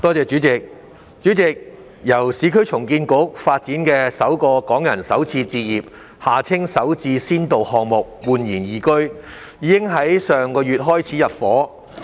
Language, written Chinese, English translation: Cantonese, 主席，由市區重建局發展的首個港人首次置業先導項目―煥然懿居，已於上月開始入伙。, President intake of residents for the eResidence the first Starter Homes SH for Hong Kong Residents pilot project developed by the Urban Renewal Authority commenced last month